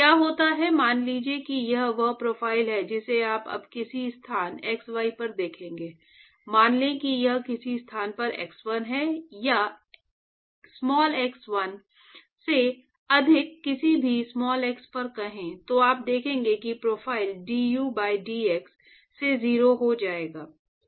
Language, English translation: Hindi, So, what happens is supposing this is the this is the profile that you will seen now at some location x1, let us say this is x1 at some location x1 or let say at any x greater than x1, you will see that the profile du by dx will become 0